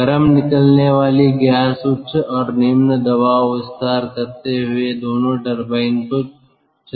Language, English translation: Hindi, the hot exhaust gasses expand, driving both the high and the low pressure turbines